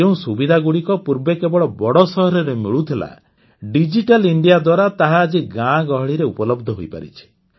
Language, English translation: Odia, Facilities which were once available only in big cities, have been brought to every village through Digital India